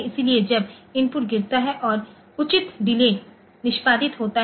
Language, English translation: Hindi, So, when the input drops and appropriate delay is executed